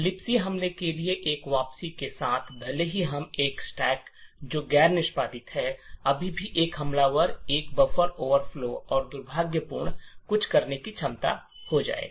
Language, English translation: Hindi, With a return to libc attack even though we have a stack which is non executable, still an attacker would be able to overflow a buffer and do something malicious